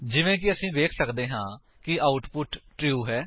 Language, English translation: Punjabi, As we can see, the output is True